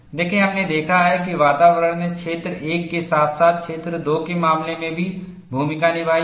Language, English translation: Hindi, See, we have seen environment has played a role, in the case of region 1 as well as in region 2